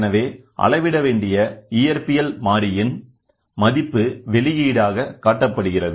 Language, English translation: Tamil, So, that the value of the physical variable to be measured is displayed as output